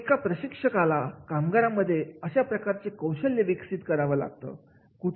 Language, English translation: Marathi, What trainer has to do develop that competency amongst the employees